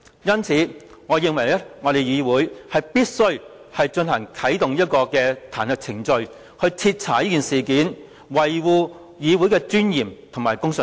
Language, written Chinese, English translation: Cantonese, 因此，我認為議會必須啟動彈劾程序，徹查此事，維護議會的尊嚴及公信力。, I therefore consider it necessary for us to activate the impeachment process to conduct a thorough inquiry into the matter with a view to upholding the dignity and credibility of this Council